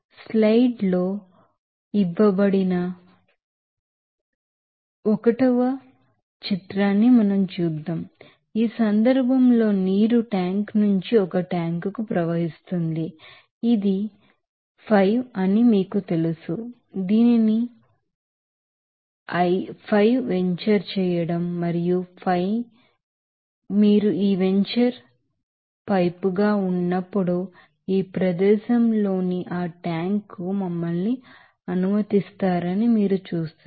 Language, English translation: Telugu, Let us do another examples here see 1 figure is given in the slides this case water is flowing from a tank to a you know that converging diverging, you know 5 this called you know venturing 5 and you will see that when you are this venturing pipe is let us to that tank at this location